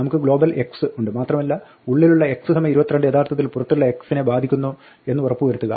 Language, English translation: Malayalam, We have global x, and just make sure that the x is equal to 22 inside is actually affecting that x outside